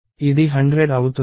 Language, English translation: Telugu, It is 100